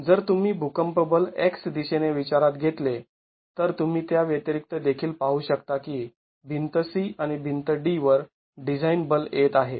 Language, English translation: Marathi, If you consider the earthquake force in the X direction, then you can look at in addition the design forces coming on to wall C and wall D